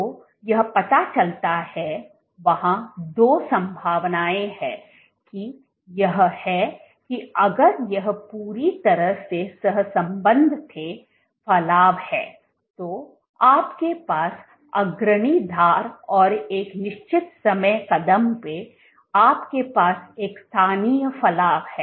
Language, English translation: Hindi, So, this suggests, there are two possibilities that is it that if these were perfectly correlated is it that the protrusion, so, you have the leading edge let us say at a given time step from this you had this local protrusion